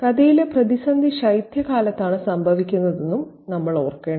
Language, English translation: Malayalam, And we should also remember that the crisis in the story happens in winter